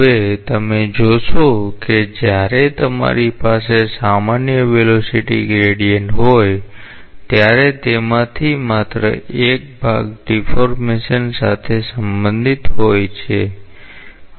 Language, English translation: Gujarati, Now, you see that when you have a general velocity gradient out of that only one part is related to deformation